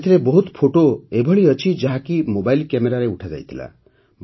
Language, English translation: Odia, There are many photographs in it which were taken with a mobile camera